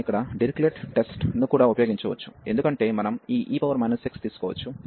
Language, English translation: Telugu, We can also use here the Dirichlet test, because we can take this e power minus x